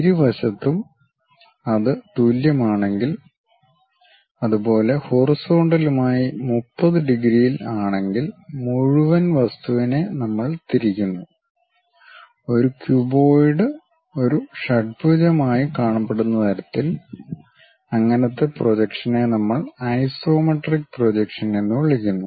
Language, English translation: Malayalam, On both sides if it is equal and making 30 degrees with the horizontal and the entire object we orient in such a way that a cuboid looks like a hexagon such kind of projection what we call isometric projection